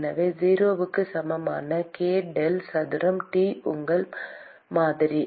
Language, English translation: Tamil, So, k del square T equal to 0 is your model